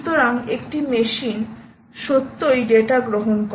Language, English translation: Bengali, so this machine has now receive the data